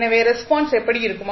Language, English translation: Tamil, So, how the response would look like